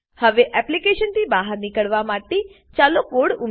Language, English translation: Gujarati, Let us now exit from the application